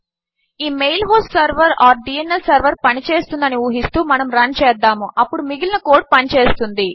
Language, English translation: Telugu, Presuming this mail host server or DNS server works, then the rest of the code will work